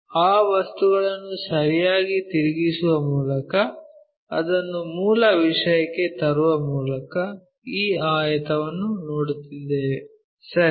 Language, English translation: Kannada, Actually, that object by rotating properly bringing it back to original thing we will see this rectangle, ok